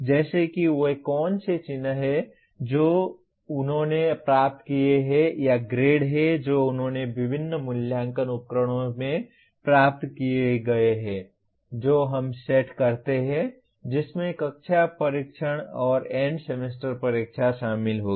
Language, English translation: Hindi, Like what are the marks that he obtained or grades that he obtained in various assessment instruments which we set; which will include the class tests and end semester exams